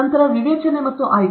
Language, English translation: Kannada, Then, discernment and selectivity